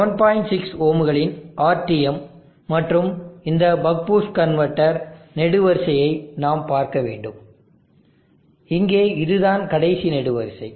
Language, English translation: Tamil, 6 ohms, and we have to look at this buck boost converter column, this last column here